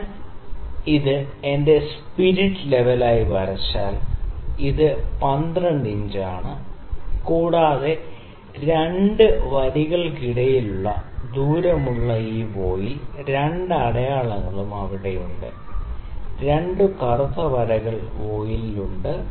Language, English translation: Malayalam, So, if I draw this as my spirit level this is 12 inch, and this voile the distance between the 2 lines, you can see the 2 markings are there, 2 black lines are there on the voile